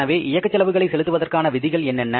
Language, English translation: Tamil, So, what are the terms of paying the operating expenses